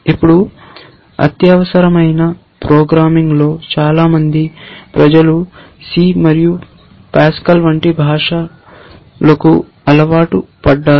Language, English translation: Telugu, Now, in imperative programming which is what most people are used to languages like c and Pascal and so on